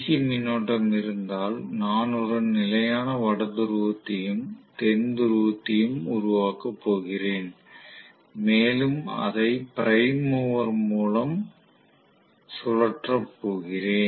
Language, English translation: Tamil, So, if I have DC current I am going to have fixed North Pole and South Pole created and I am going to have that being rotated by the prime mover